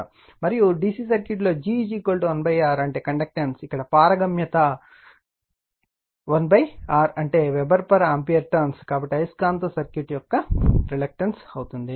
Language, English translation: Telugu, And permeance in the DC circuit g is equal to 1 upon R, the conductance here the permeance that is 1 upon R that is Weber per ampere turns, so permeance of the magnetic circuit right